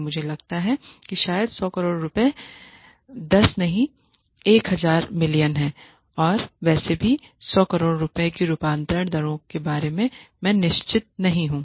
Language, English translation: Hindi, And 100 crores is I think probably 10 no 1000 million I am not sure of the conversion rates anyway 100 crore rupees